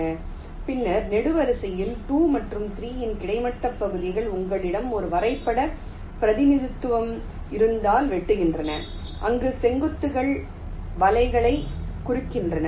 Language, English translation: Tamil, in the third column, the horizontal segments of two and three are intersecting, like if you have a graph representation where the vertices indicate the nets